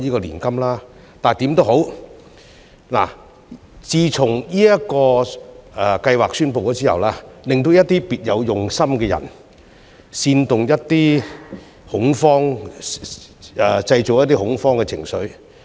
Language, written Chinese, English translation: Cantonese, 但是，不管怎樣，自從這個計劃宣布後，總有一些別有用心的人製造恐慌情緒。, But anyway since the announcement of this scheme there have always been some people with ulterior motives to create panic